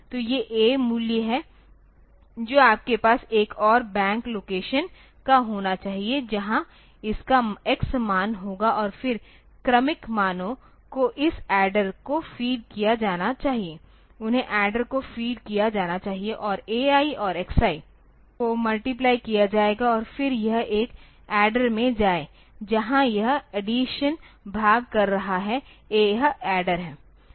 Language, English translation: Hindi, So, these are the a values you should have another bank of locations where it will have the x values and then the successive values should be fed to this adder they will be fed to the adder and a i and x i that will do that multiplication sorry this is a multiplier